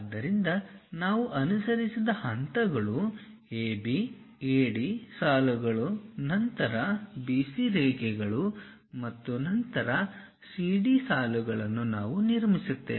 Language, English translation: Kannada, So, the steps what we have followed AB, AD lines then BC lines and then CD lines we construct it